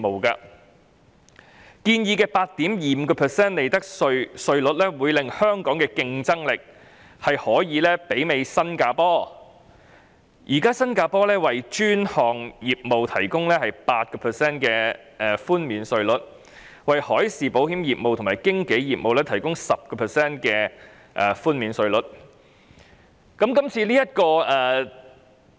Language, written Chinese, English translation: Cantonese, 建議的 8.25% 利得稅稅率會令香港的競爭力大致媲美新加坡。現時，新加坡為專項業務提供 8% 寬免稅率，為海事保險業務和經紀業務提供 10% 寬免稅率。, The proposed profits tax rate of 8.25 % will make Hong Kong generally competitive vis - à - vis Singapore which currently provides a concessionary tax rate of 8 % for specialized business and 10 % for marine insurance business and brokerage business